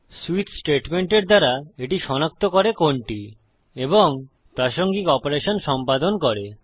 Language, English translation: Bengali, And through a switch statement it detects which one and performs the relevant operation to it